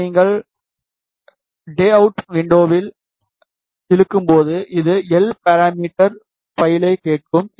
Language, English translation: Tamil, When you drag this into the layout window, it will ask for the S parameter file